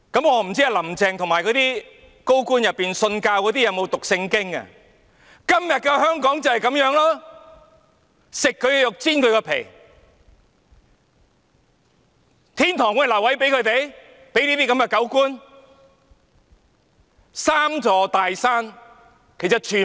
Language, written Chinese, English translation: Cantonese, 我不知道"林鄭"及那些高官信徒有否讀聖經，今天的香港就是如此，"吃人的肉，剝人的皮"，天堂會留位給他們這些"狗官"嗎？, I do not know whether Carrie LAM and those senior officials who are believers have read the Bible . That is what happens in Hong Kong nowadays . Will those dog officials who eat the flesh and flay the skin of the people be guaranteed a spot in heaven?